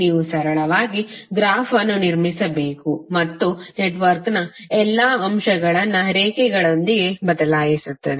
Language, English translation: Kannada, You have to simply construct the graph which will replace all the elements of the network with lines